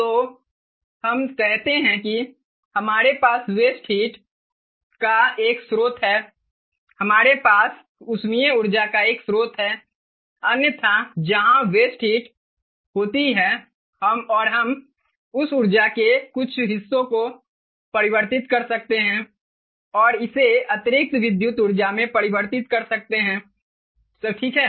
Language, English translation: Hindi, so lets say we have a source of waste heat, or we have a source of thermal energy from which otherwise would have been waste heat, and we can harness part of that energy to, and convert it to, additional electrical energy